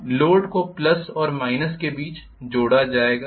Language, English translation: Hindi, Now the load will be connected between the plus and minus